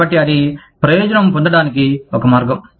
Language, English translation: Telugu, So, that is one way of gaining advantage